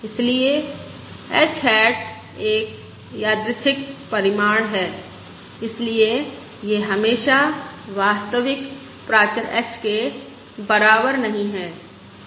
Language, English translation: Hindi, Now, since h hat is random in nature, it is not necessary that it is equal to true parameter h